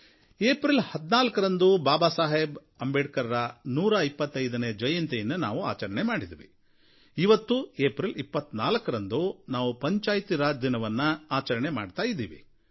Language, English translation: Kannada, We celebrated 14th April as the 125th birth anniversary of Babasaheb Ambedekar and today we celebrate 24th April as Panchayati Raj Day